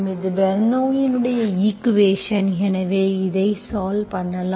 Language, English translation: Tamil, It is Bernoulli s equation, so you can solve like this